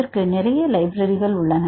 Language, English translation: Tamil, So, we use the libraries